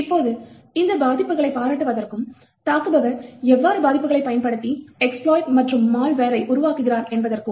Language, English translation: Tamil, Now in order to appreciate these vulnerabilities and how attackers have been able to utilise these vulnerabilities to create exploits and malware